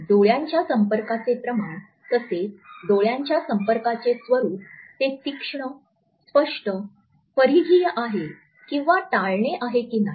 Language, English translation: Marathi, That is the amount of eye contact as well as the nature of eye contact, whether it is sharp, clear, peripheral or whether there is an avoidance